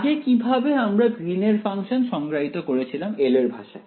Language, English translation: Bengali, How did we define the greens function earlier in terms of the language of L